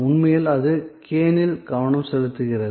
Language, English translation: Tamil, So, that is actually focused on can